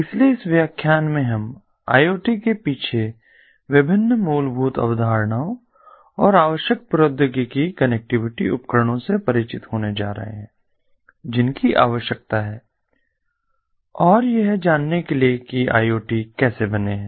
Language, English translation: Hindi, so in this lecture we are going to get introduced to the different fundamental concepts behind iot and the basic technologies, connectivity devices that are required and an overall understanding about how iot is are made